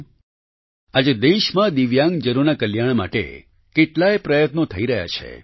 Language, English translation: Gujarati, today many efforts are being made for the welfare of Divyangjan in the country